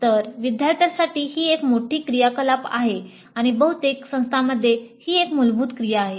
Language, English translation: Marathi, So it is a major activity for the students and in most of the institutes this is a core activity